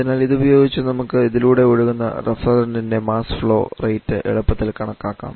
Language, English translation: Malayalam, So, using this we can easily calculate the mass flow rate for the refrigerant that is flowing through this